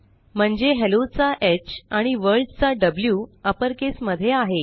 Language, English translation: Marathi, So, H of Hello and W of World are in uppercase